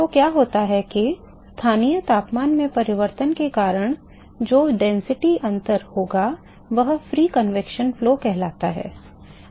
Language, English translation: Hindi, So, what happens is that the density differences, the density differences that will result, because of change in the local temperature is going to lead to what is called free convection flows